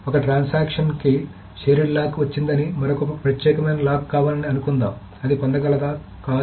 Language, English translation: Telugu, Suppose one transaction has got a shared lock and the other wants an exclusive lock, can it get it